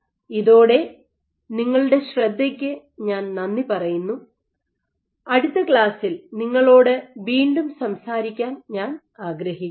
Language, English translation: Malayalam, With that I thank you for your attention, I look forward to talking to you again in the next class